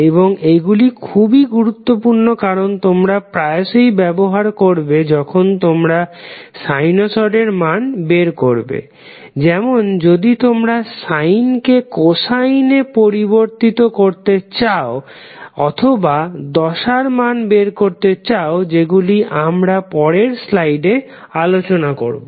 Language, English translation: Bengali, And these are very important because you will keep on using them when you try to find out the value of sinusoid like if you want to change sinusoid from sine to cosine or if you want to find out the value of phases which we will discuss in next few slides